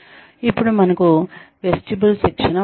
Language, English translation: Telugu, Then, we have vestibule training